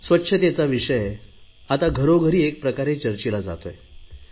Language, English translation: Marathi, The concept of cleanliness is being echoed in every household